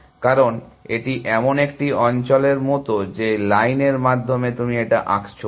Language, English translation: Bengali, Because, it is kind of is like an area is suppose through line that you are drawing like that